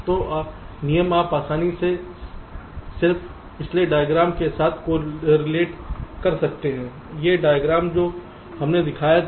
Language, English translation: Hindi, so the rules you can easily correlate with the just previous diagram